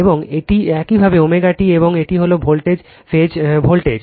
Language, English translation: Bengali, And this is your omega t, and this is the voltage phase voltage right